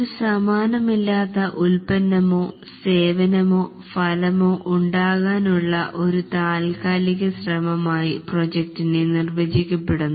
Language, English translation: Malayalam, The project is defined as a temporary endeavor undertaken to create a unique product service or result